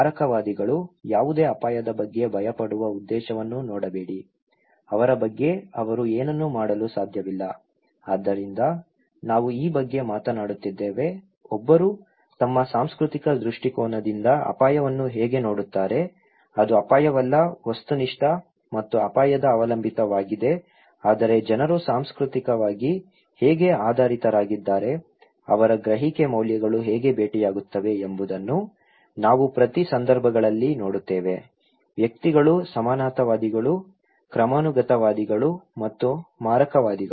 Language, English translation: Kannada, Fatalists; don’t see the point of fearing any risk, it’s not like they can do anything about them so, we are talking about this that how one see different way of looking at the risk from their cultural perspective so, it is not that risk is objective and his hazard dependent but it is more that how people are culturally when oriented, how their perception values are met as we see in each cases; individuals, egalitarian, hierarchists and fatalists